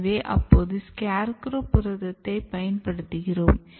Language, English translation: Tamil, So, you are using SCARECROW protein